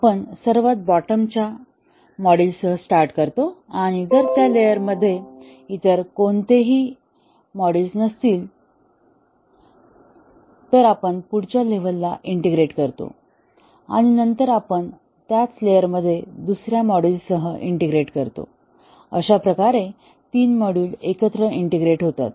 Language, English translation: Marathi, We start with the bottom most module; and if there are no other module at that layer, we take the next level integrate, and then we integrate with another module in the same layer, three modules together